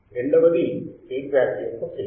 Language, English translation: Telugu, Second is phase of feedback